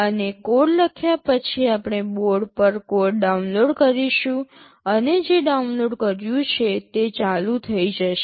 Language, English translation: Gujarati, And, after writing the code we shall be downloading the code on the board and, whatever you have downloaded, it will start running